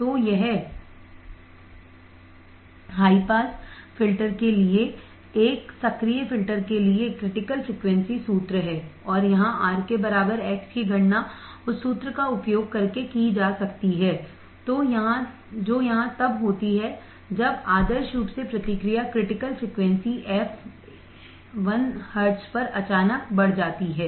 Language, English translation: Hindi, So, this is the critical frequency formula for an active filter for the high pass filter and here x equals to R can be calculated using the formula which is here when ideally the response rises abruptly at the critical frequency f l hz